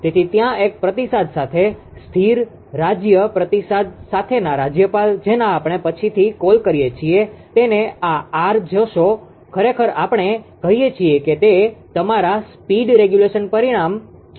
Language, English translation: Gujarati, So, governor with steady state feedback with one ah one feedback there that is we call later will see this R actually we call that is your speed regulation parameter